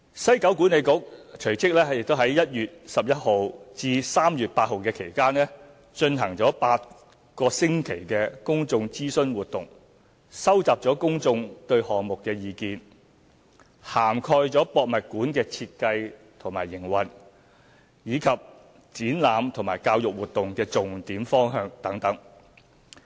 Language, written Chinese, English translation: Cantonese, 西九管理局隨即於1月11日至3月8日期間，進行8星期公眾諮詢活動，收集公眾對項目的意見，涵蓋故宮館的設計和營運，以及展覽和教育活動的重點方向等。, WKCDA launched an eight - week public consultation exercise between 11 January and 8 March to collect public views on the project which included the design and operation of HKPM as well as the main focuses and directions of its exhibitions and educational programmes